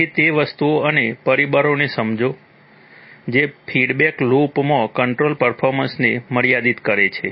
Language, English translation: Gujarati, So, those things and understand the factors that limit control performance in the feedback loop